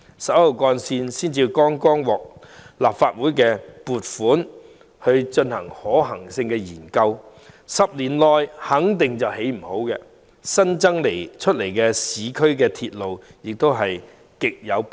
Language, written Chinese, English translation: Cantonese, 十一號幹線剛獲立法會撥款進行可行性研究 ，10 年內肯定未能落成，故增建市區鐵路亦極為迫切。, Funding for a feasibility study on Route 11 has just been approved by the Legislative Council . As its construction will definitely not be completed in a decade building more urban railway lines is also a most urgent task